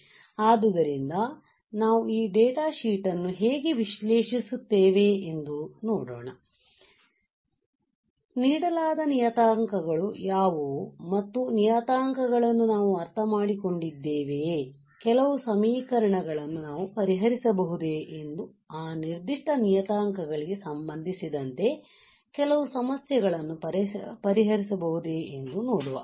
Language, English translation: Kannada, So, I thought of how we go through the data sheet and let us see, how are what are the parameters given and whether we understand those parameter, whether we can solve some equations solve some problems regarding to that particular parameters right